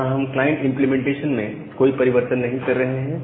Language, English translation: Hindi, So, here we do not make any change in the client implementation